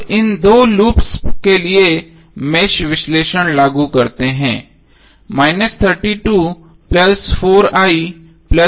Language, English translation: Hindi, Now let us apply the mesh analysis for these two loops